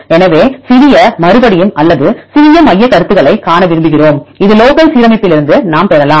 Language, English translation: Tamil, So, we want to see the small repeats or small motifs, we can get from this local alignment